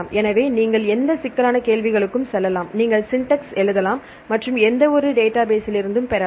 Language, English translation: Tamil, So, you can go to any complex queries, you can write syntax and you can get from any relation database fine